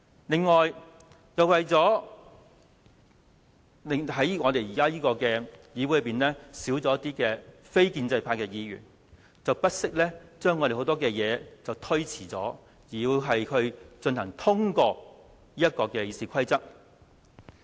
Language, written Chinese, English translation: Cantonese, 此外，由於現時議會內的非建制派議員減少，他們便不惜將很多事項推遲，以期先通過修改《議事規則》。, What is more as the number of pro - establishment Members in this Council has dwindled they seek to defer the handling of various Council matters at all costs in an attempt to secure passage of certain proposed amendments to the RoP